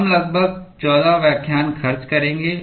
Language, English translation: Hindi, We will spend about 14 lectures